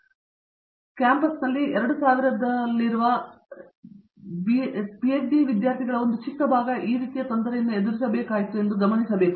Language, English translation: Kannada, But I must also point out there is a minuscule fraction of that 2000 odd PhD students that we have on campus that have to encounter anything like this